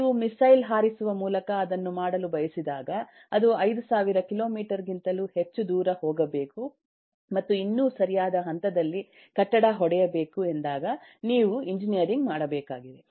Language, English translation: Kannada, but when you want to do that with by firing a missile which has to go over 5000 kilometers and still hit a building at right point, you need to do engineering